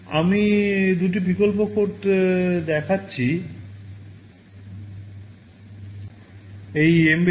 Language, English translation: Bengali, I am showing two alternate codes